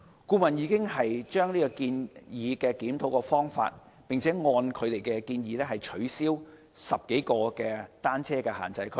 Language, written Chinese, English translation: Cantonese, 顧問已就檢討方法提出建議，並按此建議取消10多個單車限制區。, The consultancy has proposed the review methodology based on which 10 - odd bicycle prohibition zones have been abolished